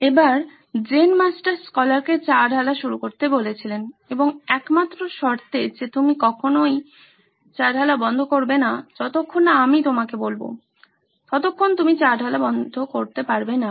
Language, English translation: Bengali, So the Zen Master asked the scholar to start pouring tea and with the only condition that you should stop pouring only when I ask you to, till then don’t stop pouring